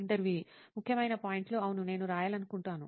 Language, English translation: Telugu, Important points, yes, I would like to write